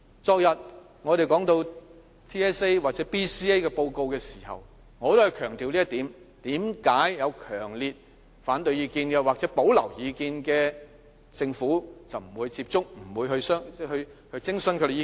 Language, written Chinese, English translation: Cantonese, 昨天，我們說到 TSA 或 BCA 的報告時也強調這一點，為何有強烈反對意見或有保留意見的，政府便不會接觸和徵詢他們的意見？, Yesterday when we talked about the Territory - wide System Assessment and the report on the Basic Competency Assessment Research Study we also questioned the Governments reluctance to have dialogues with or consult those who strongly opposed to or had reservation about its policies